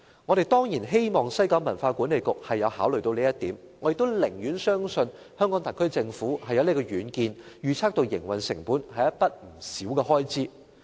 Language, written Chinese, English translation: Cantonese, 我們當然希望西九管理局有考慮這一點，我亦寧願相信香港特區政府有遠見，預測到營運成本是一筆不少的開支。, We certainly hope that WKCDA had considered this point and I would rather believe that the SAR Government had the foresight to predict the high operating costs in future